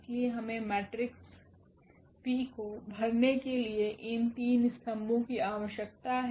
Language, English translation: Hindi, So, we need this 3 columns to fill the matrix P